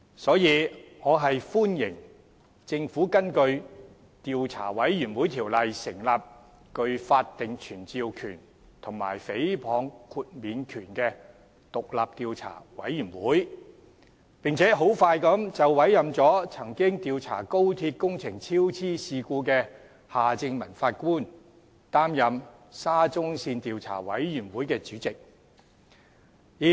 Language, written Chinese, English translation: Cantonese, 因此，我歡迎政府根據《調查委員會條例》成立具法定傳召權及誹謗豁免權的獨立調查委員會，並迅速委任曾經主持廣深港高鐵香港段工程超支事故調查的法官夏正民擔任沙中線調查委員會主席。, Thus I welcome the Governments decision to set up pursuant to the Commissions of Inquiry Ordinance an independent commission of inquiry with statutory powers to summon witnesses and immunities from defamation and expeditiously appoint former Judge Mr Michael John HARTMANN who had conducted the inquiry into the incident of cost overrun of the construction of the Hong Kong section of the Guangzhou - Shenzhen - Hong Kong Express Rail Link to chair the Commission of Inquiry